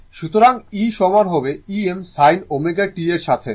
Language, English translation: Bengali, So, e is equal to E m sin omega t